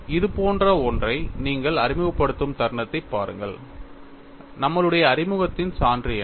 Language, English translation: Tamil, See, the moment you introduce something like this, the proof of our introduction is what